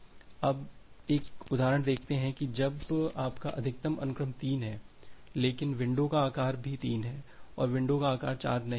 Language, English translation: Hindi, Now, let us see the an example that when your max sequence is 3, but the window size is also 3 and the window size is not 4